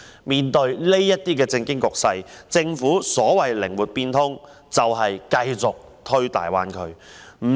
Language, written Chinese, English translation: Cantonese, 在這種政經局勢下，政府所謂的"靈活變通"，就是繼續推動大灣區的發展。, Under such a political and economic situation the Governments so - called flexible mind is to keep promoting the development of the Greater Bay Area